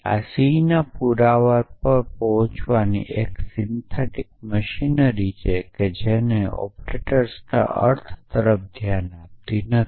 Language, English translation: Gujarati, So, this is a syntactic machinery of of arriving at proof of c which does not look at the meaning of the operators